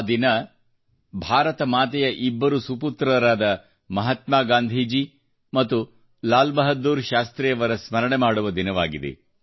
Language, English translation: Kannada, This day, we remember two great sons of Ma Bharati Mahatma Gandhi and Lal Bahadur Shastri